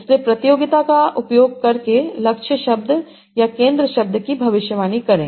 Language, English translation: Hindi, So, using the context, predict the target word or the center word